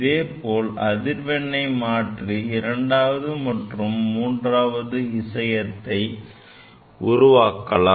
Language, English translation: Tamil, Similarly, changing the frequency we are able to generate the 2nd harmonics, then third harmonics